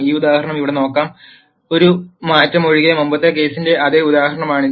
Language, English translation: Malayalam, Let us look at this example here, this is the same example as the previous case except for one change